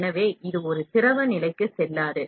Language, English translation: Tamil, So, it do not go to a liquid state